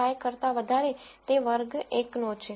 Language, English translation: Gujarati, 5 is going to belong to class 1